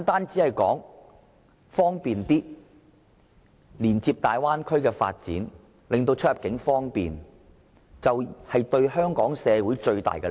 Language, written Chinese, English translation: Cantonese, 是否純粹連接大灣區的發展，令出入境更方便，為香港社會帶來最大利益？, Is it purely a linkage with the development of the Bay Area to provide more immigration convenience and bring maximum benefits for Hong Kong society?